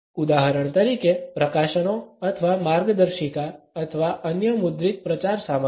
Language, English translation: Gujarati, For example, the publications or handbooks or other printed publicity material